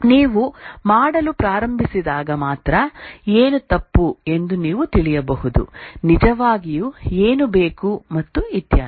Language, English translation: Kannada, Only when you start doing, then you can know that what is wrong, what is really required and so on